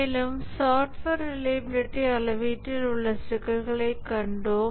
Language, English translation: Tamil, And we had seen the problems in software reliability measurement